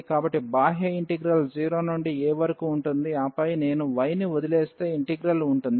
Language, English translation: Telugu, So, the outer integral will be 0 to a, and then the integrand which is if I leave y